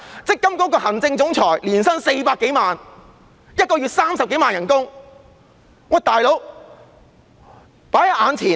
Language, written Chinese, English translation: Cantonese, 積金局行政總裁年薪400多萬元，每月薪酬30多萬元，"老兄"。, The Chairman earns more than 4 million a year which is some 300,000 per month buddy